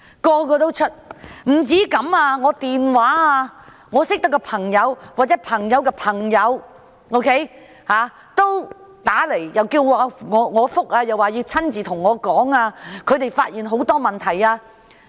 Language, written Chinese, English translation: Cantonese, 不單如此，我認識的朋友或朋友的朋友均致電給我，表示要我回覆，要親自與我傾談，因為他們發現很多問題。, Not only this . Friends I know or friends of my friends called me asking me to call back . They wanted to personally talk to me because they had found a lot of problems